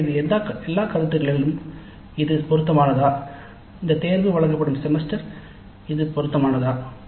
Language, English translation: Tamil, So from all these considerations is it appropriate the semester in which this elective is offered is it appropriate